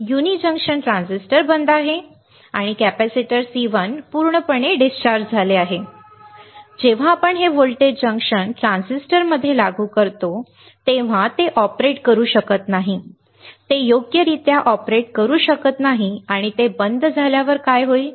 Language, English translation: Marathi, The uni junction transistor is off and the capacitor C1 is fully discharged, right, when you apply this voltage in junction transistor cannot operate, it cannot operate right and what will happen when it is off